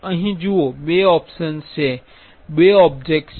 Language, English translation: Gujarati, See here there are two options, there are two object